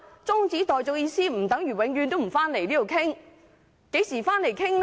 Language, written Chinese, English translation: Cantonese, 中止待續的意思不等於永遠不回立法會討論，何時回來討論？, This adjournment does not mean the debate will forever be removed from the Legislative Council . When will the debate resume?